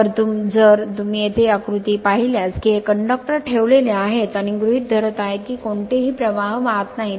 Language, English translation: Marathi, So, just if you see the diagram here that these are the conductors placed and assuming the conductor is not carrying any currents